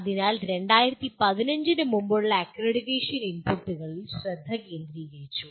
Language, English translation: Malayalam, So the accreditation prior to 2015 was the focus was on inputs